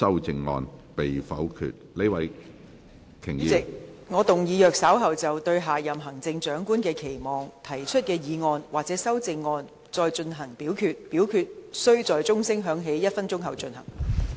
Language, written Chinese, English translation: Cantonese, 主席，我動議若稍後就"對下任行政長官的期望"所提出的議案或修正案再進行點名表決，表決須在鐘聲響起1分鐘後進行。, President I move that in the event of further divisions being claimed in respect of the motion on Expectations for the next Chief Executive or any amendments thereto this Council do proceed to each of such divisions immediately after the division bell has been rung for one minute